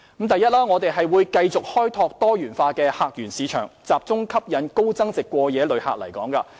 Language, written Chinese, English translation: Cantonese, 第一，我們會繼續開拓多元化的客源市場，集中吸引高增值過夜旅客來港。, First we will continue to develop a diversified portfolio of visitor source markets focused on attracting high value - added overnight visitors